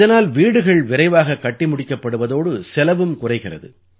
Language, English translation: Tamil, By this, houses will get built faster and the cost too will be low